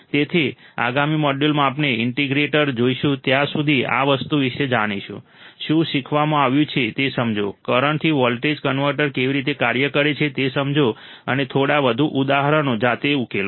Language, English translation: Gujarati, So, in the next module, we will see the integrator, till then learn about this thing; understand what has been taught, understand how the current to voltage converter works and solve few more examples by yourself